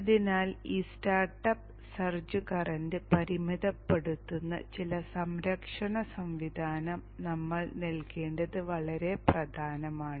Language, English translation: Malayalam, Therefore it is very very important that we provide some protection mechanism which will limit this startup search current